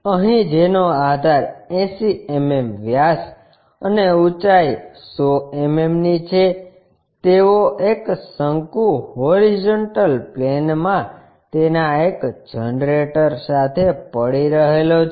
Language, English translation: Gujarati, Here a cone of base 80 mm diameter and height 100 mm is lying with one of its generators on the horizontal plane